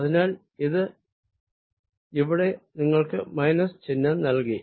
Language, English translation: Malayalam, so this gave you a minus sign here